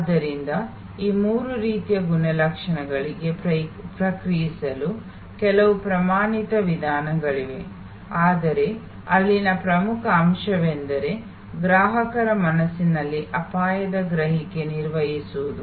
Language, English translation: Kannada, So, there are some standard methods of responding to these three types of attributes, but the top point there is managing the risk perception in customer's mind